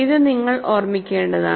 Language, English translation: Malayalam, This, you will have to keep in mind